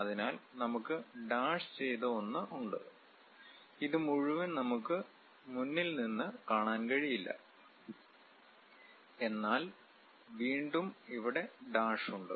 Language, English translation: Malayalam, So, we have the dashed one and this entire thing we can not really see it from front; but again here we have dashed line